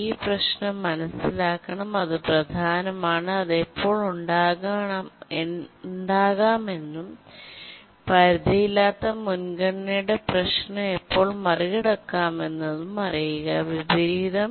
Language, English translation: Malayalam, Must understand what this problem is, when does it arise and how to overcome the problem of unbounded priority inversion